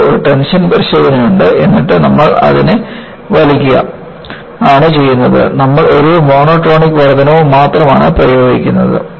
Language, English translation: Malayalam, You have a tension test and then, you simply pull it, you are only applying a monotonic increase